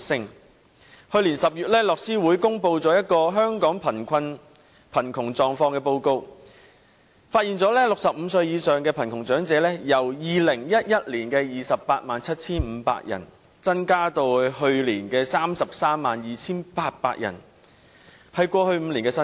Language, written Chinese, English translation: Cantonese, 樂施會在去年10月公布《香港貧窮狀況報告》，發現65歲或以上的貧窮長者人數，由2011年的 287,500 人增至去年的 332,800 人，是過去5年的新高。, According to the Hong Kong Poverty Report published by the Oxfam in last October the number of elderly citizens aged 65 of above living in poverty has increased from 287 000 in 2011 to 332 800 in 2016 which is the highest in the past five years